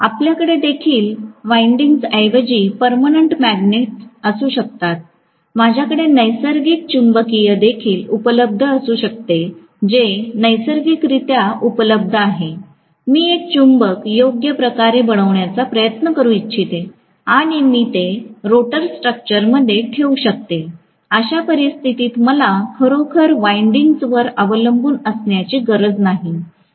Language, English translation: Marathi, We can also have permanent magnets rather than having winding, I can also have a real magnetic which is naturally available, I can try to make a magnet properly shaped and I can put it in rotor structure, in which case I do not have to really depend upon any winding for the excitation